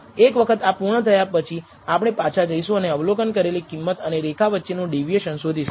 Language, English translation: Gujarati, Then once you have done this we will actually go back and find out how much deviation is there between the observed value and the line